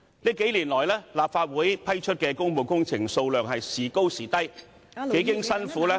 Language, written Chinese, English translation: Cantonese, 這數年來，立法會批出的工務工程數量時高時低，幾經辛苦......, In the last few years the number of public works projects approved by the Legislative Council fluctuated greatly